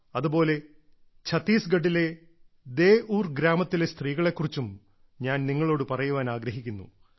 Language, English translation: Malayalam, I also want to tell you about the women of Deur village of Chhattisgarh